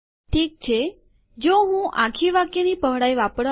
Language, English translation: Gujarati, What I will do is, so let me just, this is for if I want to use the entire line width